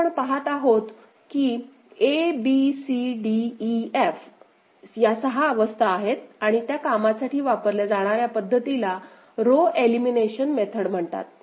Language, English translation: Marathi, So, we see that a b c d e f six states are there and for that the first method that we shall employ we’ll call, is called row elimination method